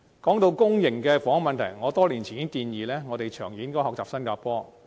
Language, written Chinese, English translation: Cantonese, 說到公營房屋的問題，我多年前已提出建議，長遠而言應效法新加坡。, When it comes to the problem of public housing I have suggested many years ago to follow Singapores practice in the long run